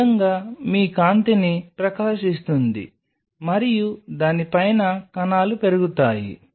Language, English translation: Telugu, So, this is how your shining the light and the cells are growing on top of it